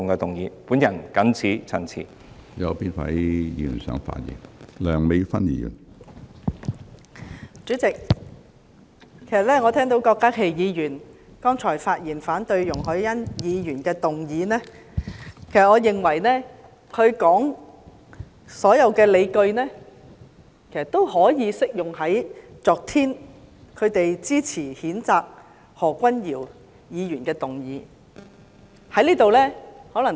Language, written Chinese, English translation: Cantonese, 主席，我剛才聆聽郭家麒議員發言反對容海恩議員動議的議案，我認為他提出的所有理據，也適用於反對他們昨天支持譴責何君堯議員的議案。, President having just listened to Dr KWOK Ka - kis speech against Ms YUNG Hoi - yans motion I think that all the rationale he put forward also applies to the censure motion against Dr Junius HO which they supported yesterday